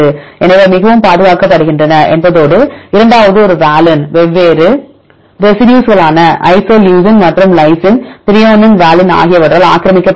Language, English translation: Tamil, So, that means they are highly conserved and the second one valine is occupied by different residues isoleucine and lysine, threonine, valine